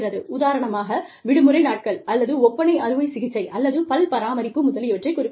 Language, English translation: Tamil, For example, the vacation days, or cosmetic surgery, or dental care, etc